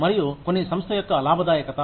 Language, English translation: Telugu, And, some on the profitability of the organization